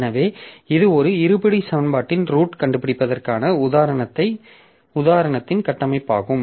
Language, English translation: Tamil, So, so that is the structure of our example that we took finding roots of a quadratic equation